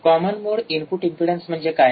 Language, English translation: Marathi, What is the common mode input impedance